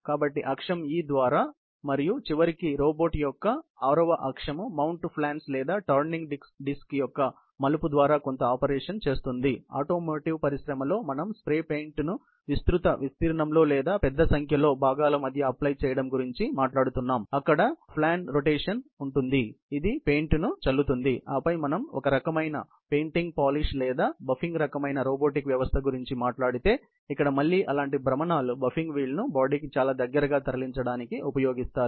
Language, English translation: Telugu, So, that is what is meant by the axis E and then finally, the 6th axis of the robot is by virtue of the turning of the mounting flans or the turning disk, which would do some operation; may be let’s, we are talking about a dispensing of spray paint, where there is a flan rotation, which is very important to atomize the paint as in automotive industry, or then, we are talking about some kind of painting, painting polish or buffing kind of robotic system, where again, such rotations are used for moving the buffing wheel, very close to the body